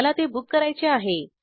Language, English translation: Marathi, I want to book it